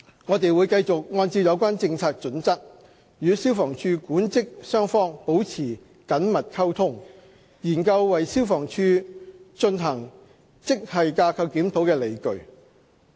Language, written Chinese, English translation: Cantonese, 我們會繼續按照有關政策準則，與消防處管職雙方保持緊密溝通，研究為消防處進行職系架構檢討的理據。, We will continue to maintain close communication with the management and staff side of FSD and consider the justifications for conducting a GSR for the Department with respect to the relevant policy guidelines